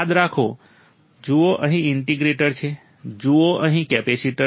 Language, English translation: Gujarati, Remember, see the integrator right here, the capacitor is here